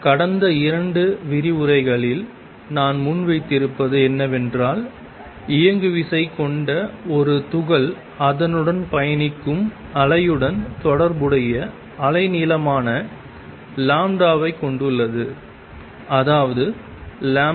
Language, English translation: Tamil, And what I have presented the last couple of lecturers is that a particle with momentum p has wavelength lambda associated with the waves travelling with it; that means, lambda wave is h over p